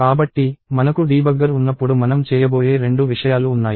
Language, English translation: Telugu, So, there are two things that we are going to do when we have a debugger